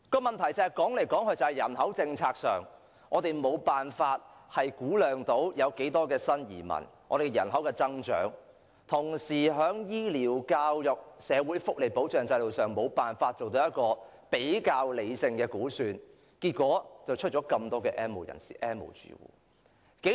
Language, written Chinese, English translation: Cantonese, 由於政府無法估量新移民的人口增長，以致無法就醫療、教育及社會福利保障制度，作出比較理性的估算，結果出現了這麼多 "N 無人士"及 "N 無住戶"。, Owing to its inability to estimate the increase in the number of new immigrants the Government fails to make a rational estimation about the demand for health care education and welfare services and consequently there are so many N have - nots and N have - nots households